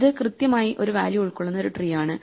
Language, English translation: Malayalam, So, this is a tree that will contain exactly one value